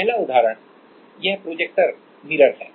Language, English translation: Hindi, The first example is this projector mirror